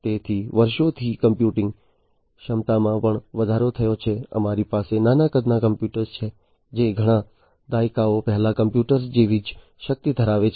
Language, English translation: Gujarati, So, computing capacity had also increased so, over the years we have now, you know, small sized computers that have the same power like the computers that were there several decades back